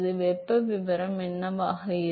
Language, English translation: Tamil, What will be the temperature profile